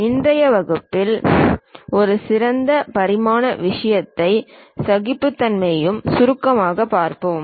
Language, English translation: Tamil, In today's class we will briefly look at special dimensioning thing and also tolerances